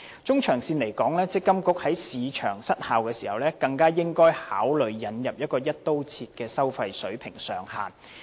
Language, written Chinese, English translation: Cantonese, 中長線而言，強制性公積金計劃管理局在市場失效時更應該考慮引入"一刀切"的收費水平上限。, In the medium and longer terms the Mandatory Provident Fund Schemes Authority MPFA should also consider introducing a cap on fees across the board at the time of market failure